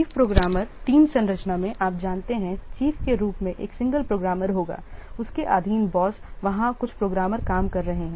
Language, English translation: Hindi, In chief programmer team structure you know, there will be a single programmer as the chief as the boss